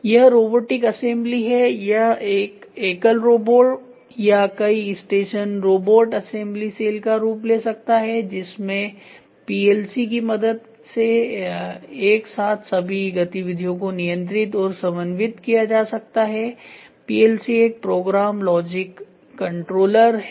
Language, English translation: Hindi, This is robotic assembly; so this can take the form of a single robo or a multiple station robotic assembly cell with all activities simultaneously controlled and coordinated by a PLC; PLC is Program Logic Controller